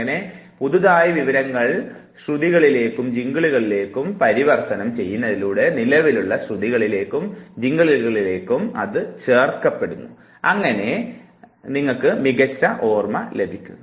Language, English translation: Malayalam, So, you convert the new information into rhymes and jingles you embed it over the existing rhymes and jingles and you will have a better memory